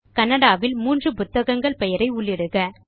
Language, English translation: Tamil, Type a list of 3 books in Kannada